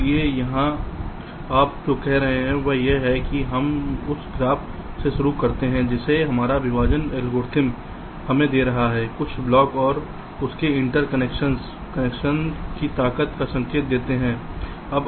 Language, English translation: Hindi, so so here, what your saying is that we start with that graph which our partitioning algorithms is giving us some blocks and their interconnections, indicating their strength of connections